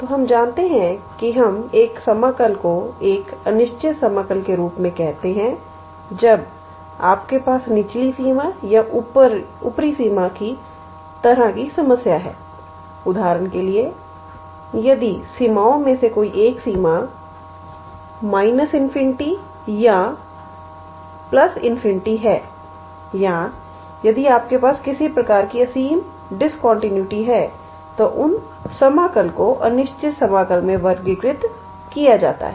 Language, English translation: Hindi, So, we know that we call an integral as an improper integral when you have some kind of how to say problem with the lower limit or upper limit; for example, if any one of the limits are minus infinity or plus infinity or if you have some kind of infinite discontinuity in your integrand then those integrals are categorized as improper integral and